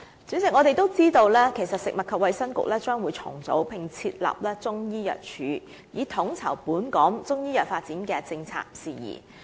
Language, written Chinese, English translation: Cantonese, 主席，我們也知道食物及衞生局將會重組，並設立中醫藥處以統籌本港中醫藥發展的政策事宜。, President we also know that the Food and Health Bureau will be reorganized and the Chinese Medicine Unit will be established with a view to coordinating policy issues in the development of Chinese medicine in Hong Kong